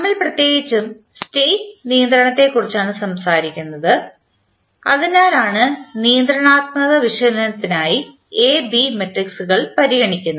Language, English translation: Malayalam, And we are particularly talking about the state controllability that is why A and B Matrices are being considered for the controllability analysis